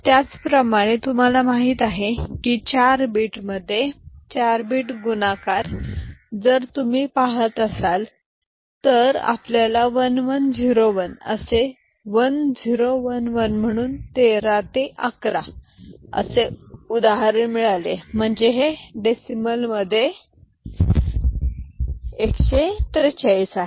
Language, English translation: Marathi, Similarly, for 4 bit you know, 4 bit into 4 bit multiplication if you are looking at then we have got an example 1 1 0 1 with 1 0 1 1 so 13 into 11 so this is 143 in decimal